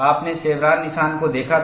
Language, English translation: Hindi, You had seen chevron notch